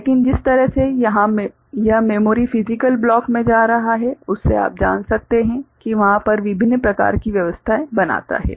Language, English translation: Hindi, But the way it is going to the memory physical block we can you know, make different kind of arrangements over there